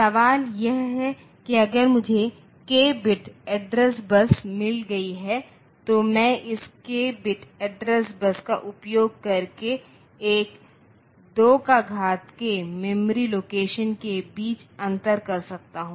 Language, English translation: Hindi, Now, the question is if I have got a k bit address bus using this k bit address bus I can differentiate between 2 power k memory locations